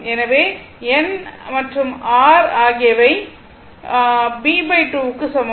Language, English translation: Tamil, So, n r and r is equal to your b by 2